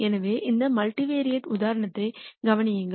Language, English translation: Tamil, So, consider this multivariate example